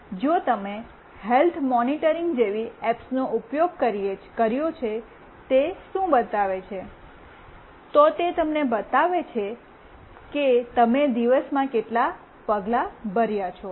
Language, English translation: Gujarati, If you have used some kind of apps like health monitoring, what it shows, it shows you that how many steps you have walked in a day